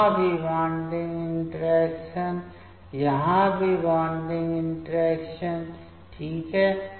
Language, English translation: Hindi, Here also bonding interaction; here also bonding interaction fine